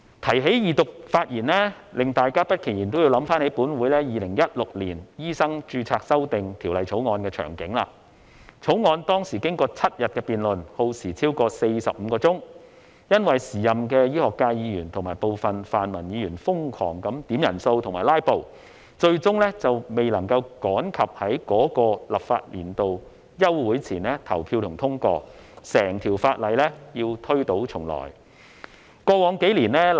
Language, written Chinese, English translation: Cantonese, 提到二讀發言，令大家不其然也會想起，本會《2016年醫生註冊條例草案》的場景，該條例草案當時經過7日的辯論，耗時超過45小時，由於時任的醫學界議員及部分泛民議員瘋狂要求點算人數和"拉布"，最終未能趕及在該立法年度休會前投票和通過，整項法案要推倒重來。, Talking about speaking at Second Reading debates we cannot help but going back to the scene when this Council debated the Medical Registration Amendment Bill 2016 . After seven days of debate which lasted more than 45 hours this Council still could not put the Bill to vote because a Member of the medical sector and some pan - democratic Members insanely requested headcounts and filibustered at the meeting . In the end the Bill had to be scrapped and start from scratch again